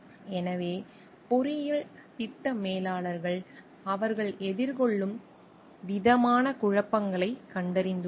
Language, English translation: Tamil, So, what we find like, engineering project managers have found 7 different kinds of conflicts as they may face